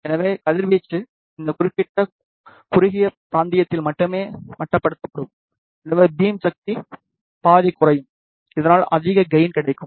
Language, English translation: Tamil, So, radiation will be confined only in this particular narrow region, so half power beam will decreases, which results in higher gain